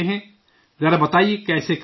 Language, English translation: Urdu, Tell me, how do you do it